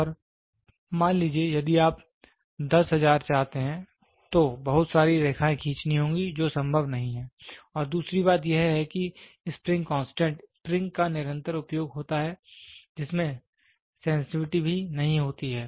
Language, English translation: Hindi, And suppose, if you want to have 10000, then so many lines have to be drawn which is not possible and second thing the spring constant a spring which is used also does not has sensitivity